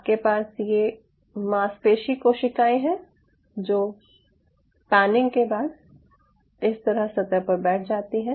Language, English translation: Hindi, so you have these muscle cells which are, kind of, you know, settled on the surface after panning